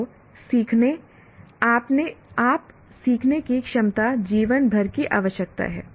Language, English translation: Hindi, So learning is a ability to learn on your own is a lifetime requirement